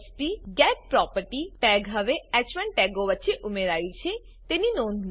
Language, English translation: Gujarati, Notice that jsp:getProperty tag is now added between the h1 tags